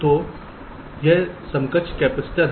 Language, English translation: Hindi, so this is the equivalent capacitors